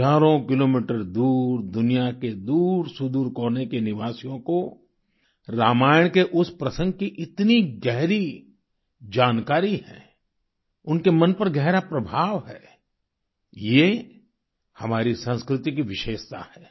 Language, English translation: Hindi, People residing thousands of kilometers away in remote corners of the world are deeply aware of that context in Ramayan; they are intensely influenced by it